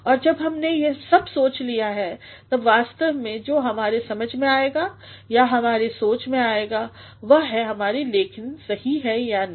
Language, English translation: Hindi, And when we have considered all this, what actually comes to our understanding or our thought is whether our writing is correct or not